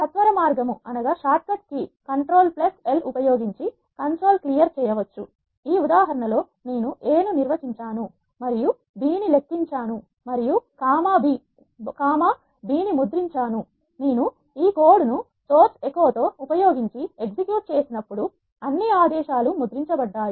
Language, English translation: Telugu, The console can be cleared using the shortcut key control plus L, let us look at an example, in this code I have defined a and calculated b and printed a comma b, when I execute this code using source with echo all the commands will get printed here